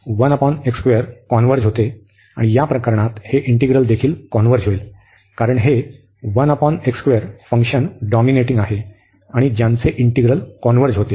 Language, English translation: Marathi, And in that case this integral will also converge, because this is dominating function 1 over x square and the whose integral converges